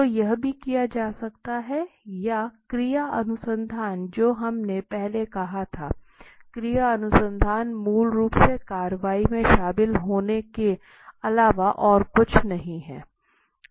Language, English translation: Hindi, So that can be also done or action research that we said earlier, action research is basically nothing but to get into the action